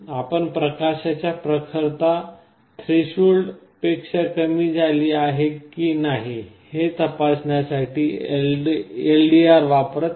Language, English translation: Marathi, ou may be using the LDR to check whether the light intensity has fallen below a threshold